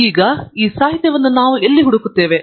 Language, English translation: Kannada, So, where do we look up this literature